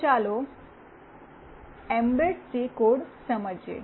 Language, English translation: Gujarati, So, let us understand the mbed C code